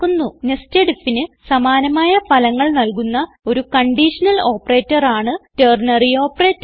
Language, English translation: Malayalam, Ternary Operator is a conditional operator providing results similar to nested if